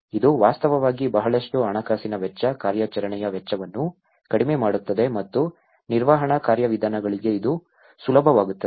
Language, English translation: Kannada, This will actually reduce lot of financial cost, operational cost and even it will be easy for the management procedures